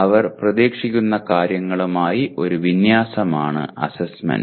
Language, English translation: Malayalam, Assessment is an alignment with what they are expected to do